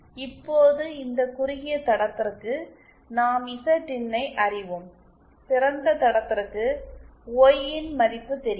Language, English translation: Tamil, Now for this shorted line we know Zin and for a open line we know Yin